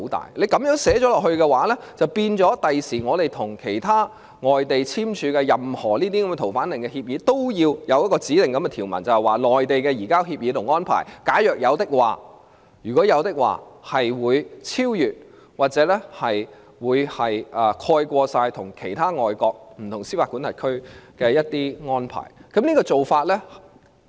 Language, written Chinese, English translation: Cantonese, 如果就這樣寫入條文，便會令我們將來與其他外地簽署的任何逃犯令協議，都要有指定的條文，就是假如將來與內地簽訂了移交協議及安排，便會超越或蓋過香港與其他外國不同司法管轄區所簽訂的安排。, If this provision is written down it will necessitate stipulation of specified provisions when we sign any agreement relating to a fugitive order with any foreign places in future . It is because the agreement or arrangement to be made between Hong Kong and the Mainland in future on the surrender of fugitive will supersede or supplant arrangements signed between Hong Kong and other foreign jurisdictions